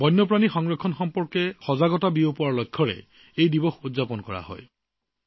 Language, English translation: Assamese, This day is celebrated with the aim of spreading awareness on the conservation of wild animals